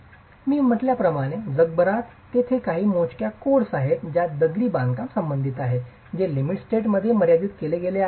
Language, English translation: Marathi, As I said, there are few codes across the world as far as masonry is concerned that have moved into limit state design